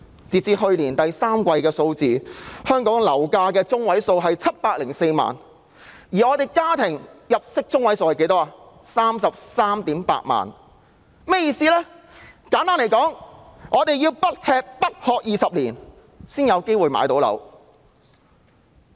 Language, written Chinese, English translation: Cantonese, 截至去年第三季，香港樓價中位數為704萬元，而本地家庭入息中位數則為 338,000 元，這是甚麼意思呢？, As at the third quarter of last year the median property price in Hong Kong was 7.04 million while the median annual household income was 338,000 so what do these figures suggest?